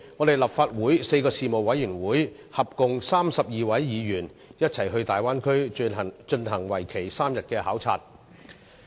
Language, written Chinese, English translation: Cantonese, 立法會4個事務委員會，合共32位議員，在上月一起到大灣區進行為期3天的考察。, Thirty - two Members from four Legislative Council panels went on a three - day duty visit to the Bay Area last month